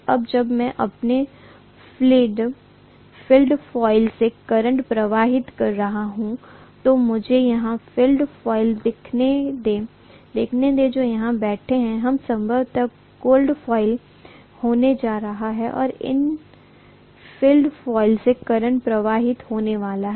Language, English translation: Hindi, Now when I am having current flowing through my field coil, so let me show the field coil here, this is probably going to be the field coils which are sitting here and the current is going to flow through these field coils